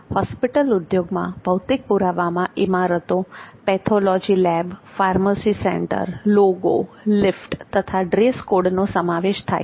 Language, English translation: Gujarati, And the physical evidence in this industry, physical evidence can be in the form of buildings, pathology labs, pharmacy center, logo, lifts, dress code, etc